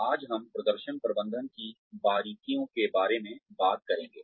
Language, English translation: Hindi, Today, we will talk about, the specifics of performance management